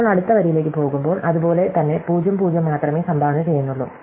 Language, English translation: Malayalam, Now, when we go to the next row, likewise this 0 contributes only 0